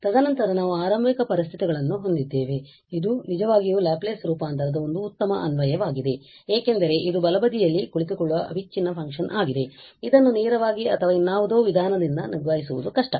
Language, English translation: Kannada, And then we have initial conditions and this is indeed a very good application of the Laplace transform because this is a discontinuous function sitting at the right hand side dealing with this directly by some other means would be difficult